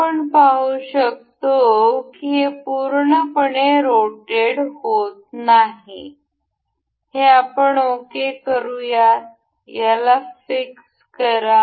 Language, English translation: Marathi, We can see it has a it cannot rotate fully, let us just fix this item ok; click on fix